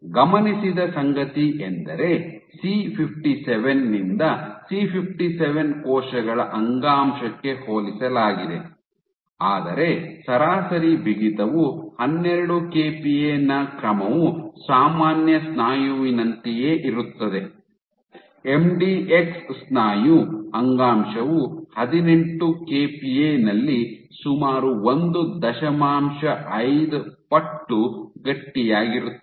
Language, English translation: Kannada, What was also observed was compared to C57 cells tissue from C57, but the average stiffness was order 12 kPa is similar to normal muscle, MDX muscle tissue was nearly 1